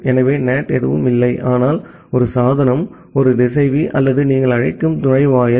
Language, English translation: Tamil, So, NAT is nothing, but a device a router or a gateway whatever you call it